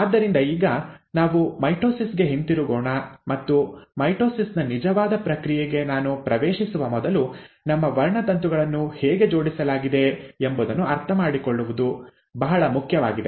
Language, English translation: Kannada, So let us come back to mitosis and before I get into the actual process of mitosis, it is very important to understand how our chromosomes are arranged